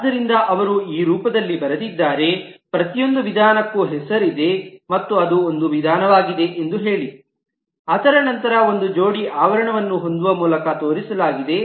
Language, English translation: Kannada, So they, written in this form, say: every method has a name and the fact that it is a method is shown by having a pair of parenthesis